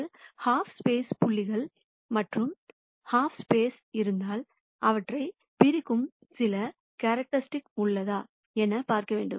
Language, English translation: Tamil, If there are points on one half space and points on the other half space, is there some characteristic that separates them